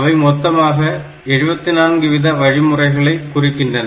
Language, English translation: Tamil, So, they define all together at 74 instructions